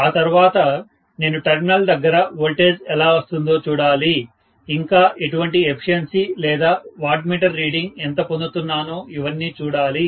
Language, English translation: Telugu, And then I will have to see how I am getting the voltage at the terminal and what is the kind of efficiency or the wattmeter reading that I am getting, right